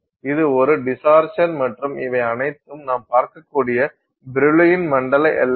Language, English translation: Tamil, So, that is the distortion and these are all the Brill one zone boundaries that you can see